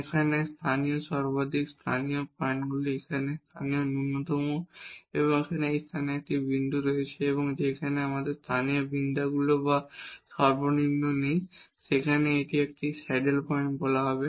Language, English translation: Bengali, Here also local maximum these are the points here with local minimum and there is a point at this place here where we do not have a local maximum or minimum and then this will be called a saddle point